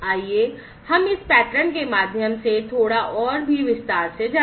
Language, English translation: Hindi, So, let us go through this pattern also little bit, in further detail